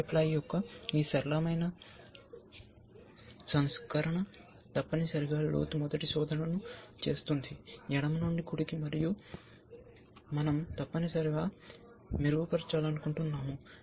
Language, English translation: Telugu, And this simple version of k ply look ahead is essentially doing depth first search, left to right and we want to improve upon that essentially